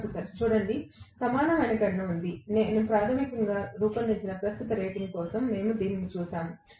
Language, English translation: Telugu, Professor: See, equivalent calculation exist, basically what we will be looking at this for what current rating I have designed